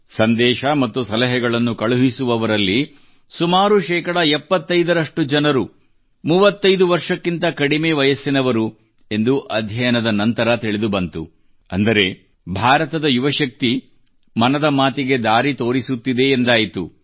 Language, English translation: Kannada, The study revealed the fact that out of those sending messages and suggestions, close to 75% are below the age of 35…meaning thereby that the suggestions of the youth power of India are steering Mann ki Baat